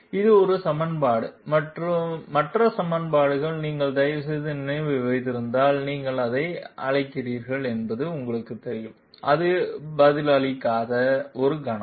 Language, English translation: Tamil, This is one equation and the other equation if you kindly remember was the equation that we got from you know what you call it, just one moment this is not responding